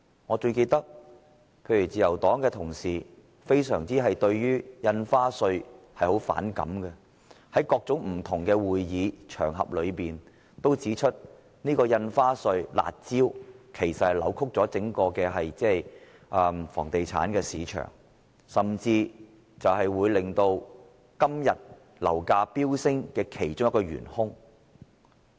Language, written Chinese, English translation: Cantonese, 我最記得自由黨的同事對於印花稅非常反感，在各種不同的會議和場合均指出印花稅這"辣招"扭曲了整個房地產市場，甚至是令今天樓價飆升的其中一個元兇。, I recall most clearly that colleagues of the Liberal Party took great aversion to the stamp duty and they pointed out at various meetings and on various occasions that the curb measures concerning the stamp duty had distorted the entire real estate market and that they were even a chief culprit causing property prices to soar nowadays . Try to think about this